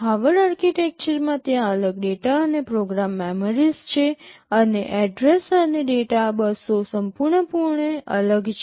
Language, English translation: Gujarati, In Harvard architecture there are separate data and program memories, and address and data buses are entirely separate